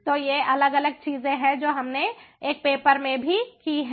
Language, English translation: Hindi, so these are different things that we have done in one of the papers